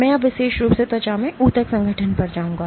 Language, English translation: Hindi, I will then now go to Tissue organization in skin in particular